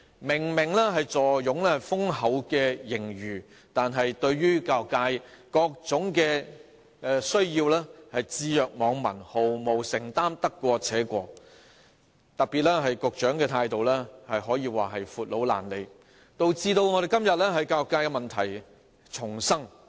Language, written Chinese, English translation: Cantonese, 明明坐擁豐厚盈餘，卻對教育界各種需要置若罔聞，毫無承擔，得過且過，特別是局長的態度可說是"闊佬懶理"，導致今天我們教育界問題叢生。, Obviously hoarding a huge surplus it turns a deaf ear to the various needs of the education sector muddling through without making any commitment at all . In particular the Secretarys attitude is simply slothful thus leading to all kinds of problems in our education sector today